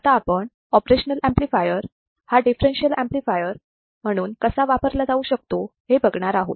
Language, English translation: Marathi, So, let us see how the operational amplifier can be used as a differential amplifier